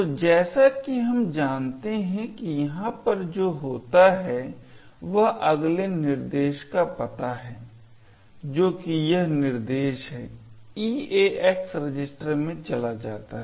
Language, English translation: Hindi, So, as we know what happens over here is the address of the next instruction that is this instruction gets moved into the EAX register